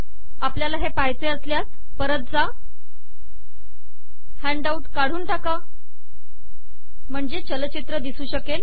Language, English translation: Marathi, So if you want to see this you just go back, remove this handout, so we can see the animation